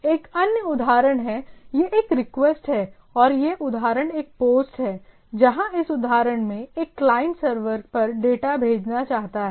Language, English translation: Hindi, Similarly, in another example, so this is a request and this example it is a post, right where in this example, a client want to send a data to the server